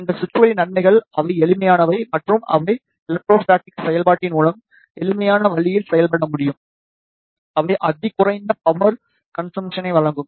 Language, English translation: Tamil, The benefits of these switches are they are simple and they can operate in a simple way through electrostatic actuation, they provide the ultra low power consumption